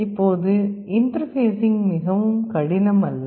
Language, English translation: Tamil, Now, interfacing is also not quite difficult